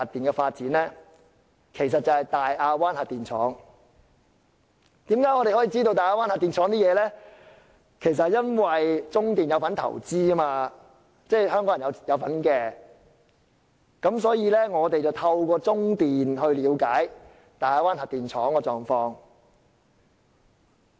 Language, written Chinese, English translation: Cantonese, 我們能夠得知大亞灣核電廠情況的原因，是中華電力有限公司是投資者之一，亦即香港人有份投資，所以便可透過中電了解大亞灣核電廠的狀況。, We can know what is happening in the Daya Bay Nuclear Power Station because the China Light and Power Co Ltd CLP is one of the investors . This means that Hong Kong has put in investment so we can know what is happening in the Daya Bay Nuclear Power Station through CLP